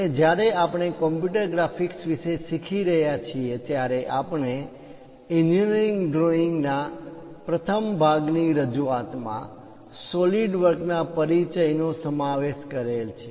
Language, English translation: Gujarati, And when we are learning about computer graphics, we use introduction to solid works , in the first part introduction to engineering drawings